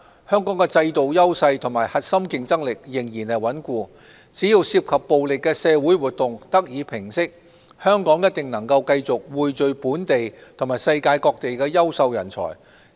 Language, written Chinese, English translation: Cantonese, 香港的制度優勢和核心競爭力仍然穩固，只要涉及暴力的社會活動得以平息，香港一定能夠繼續匯聚本地及世界各地的優秀人才。, Hong Kongs institutional strengths and core competencies remain strong . As long as social activities of a violent nature are calmed down Hong Kong will surely continue to bring together talents from local and international sources